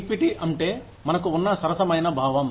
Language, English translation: Telugu, Equity means, the sense of fairness, that we have